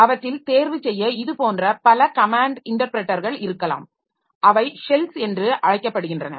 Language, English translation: Tamil, So, we have got some of some systems so there may be multiple such command interpreter to choose from, so they are called shells